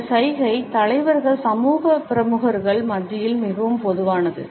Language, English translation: Tamil, This gesture is very common among leaders, social figures, royalty